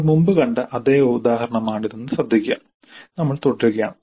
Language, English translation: Malayalam, Notice this is the same example which we had earlier we are continuing